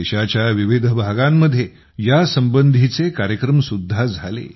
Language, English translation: Marathi, Across different regions of the country, programmes related to that were held